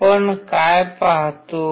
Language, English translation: Marathi, What we see